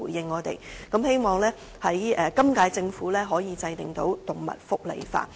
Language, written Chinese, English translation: Cantonese, 我希望本屆政府可以制定動物福利法。, I hope the current - term Government can enact an animal welfare law